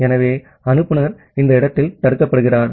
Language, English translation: Tamil, So the sender is blocked at this point